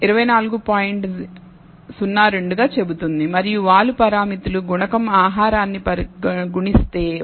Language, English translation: Telugu, 02 and the slope parameters, the coefficient multiplying food is 1